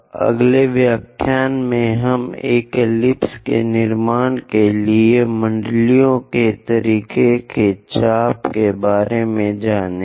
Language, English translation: Hindi, In the next lecture, we will learn about arc of circles methods to construct an ellipse